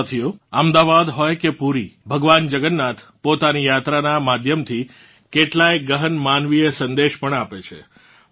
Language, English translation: Gujarati, Friends, be it Ahmedabad or Puri, Lord Jagannath also gives us many deep human messages through this journey